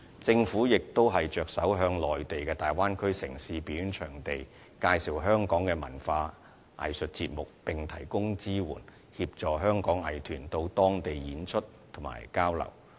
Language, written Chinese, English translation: Cantonese, 政府亦着手向內地粵港澳大灣區城市的表演場地介紹香港的文化藝術節目，並提供支援，協助香港藝團到當地演出和交流。, The Government has also proceeded to introduce to the performing venues of the Guangdong - Hong Kong - Macao Bay Area Hong Kongs cultural and arts programmes while providing necessary support to help Hong Kong arts groups to give performances and conduct cultural exchanges there